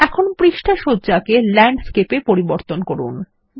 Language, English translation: Bengali, Now change the page orientation to Landscape